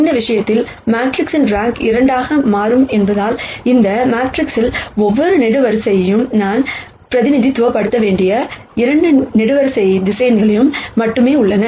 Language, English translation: Tamil, In this case since the rank of the matrix turns out to be 2, there are only 2 column vectors that I need to represent every column in this matrix